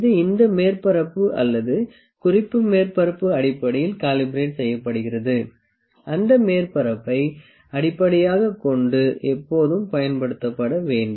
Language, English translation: Tamil, And if it is this surface, or which is the reference surface based on which it is it is calibrated, it has to be always used based on the surface and often